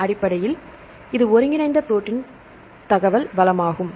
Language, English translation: Tamil, Essentially, this is the integrated protein information resource